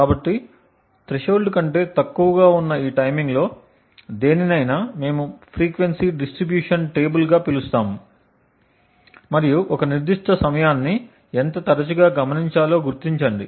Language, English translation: Telugu, So, for any of these timing which is less than the threshold we maintain something known as a frequency distribution table and identify how often a particular time is observed